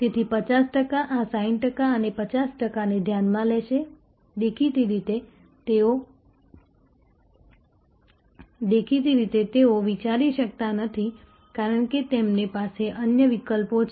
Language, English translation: Gujarati, So, 50 percent will consider of this 60 percent and 50 percent; obviously, they cannot consider, because they have different other options